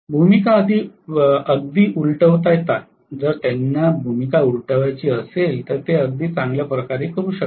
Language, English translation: Marathi, They can reverse the role very well, if they have to reverse the role they will do that very nicely okay